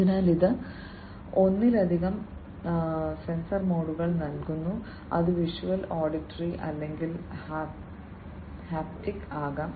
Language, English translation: Malayalam, So, it provides multiple sensor modalities, which can be visual, auditory or, haptic